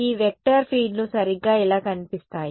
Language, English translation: Telugu, They were these vector fields that look like this right